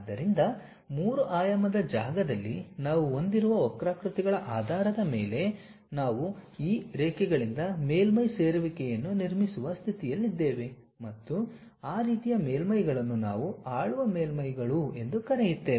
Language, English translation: Kannada, So, based on the curves what we have in 3 dimensional space we were in a position to construct a surface joining by these lines and that kind of surfaces what we call ruled surfaces